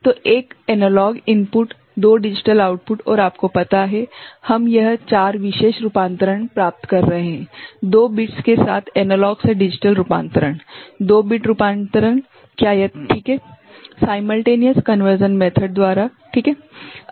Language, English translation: Hindi, So, 1 analog input, 2 digital output and we are getting this 4 particular you know, the conversion, analog to digital conversion with 2 bits 2 bit conversion, is it fine, by simultaneous conversion method right